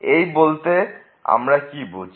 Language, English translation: Bengali, What do we mean by this